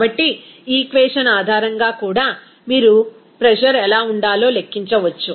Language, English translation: Telugu, So, based on this equation also, you can calculate what should be the pressure